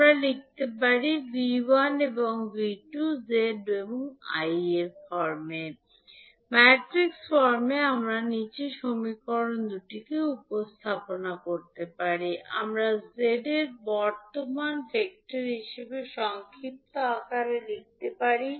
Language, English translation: Bengali, We can write V1 as Z11 I1 plus Z12 I2 and V2 as Z21 I1 plus Z22 I2 or in matrix form you can represent these two equations as matrix of V1, V2 and then you will have the impedance method that is Z11, Z12, Z21 and Z22 and then current vector